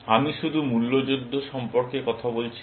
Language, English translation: Bengali, I was just talking about Price Wars